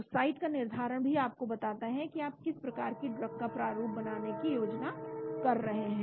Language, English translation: Hindi, So deciding on the site also tells you what types of drugs you are planning to design